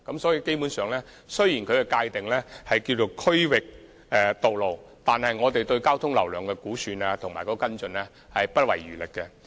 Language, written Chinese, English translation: Cantonese, 所以，雖然它們被界定為"區域道路"，但我們對其交通流量的估算和跟進是不遺餘力的。, Hence although they are being defined as District Distributor roads we spare no efforts in estimating their traffic flow and following up their situations